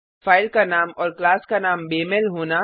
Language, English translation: Hindi, It happens due to a mismatch of file name and class name